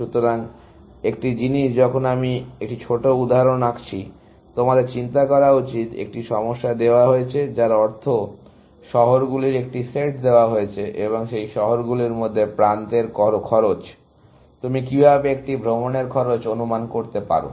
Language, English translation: Bengali, So, one thing that while I draw a small example, you should think about is; given a problem, which means given a set of cities, and the cost of edges between those cities; how can you estimate the cost of a tour